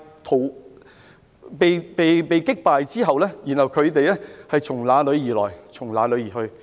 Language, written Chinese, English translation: Cantonese, 在被擊敗後，只好"從哪裏來，便從哪裏離去"。, Upon being defeated they could only leave for where they came from